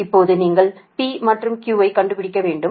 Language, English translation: Tamil, now you have to find out p and q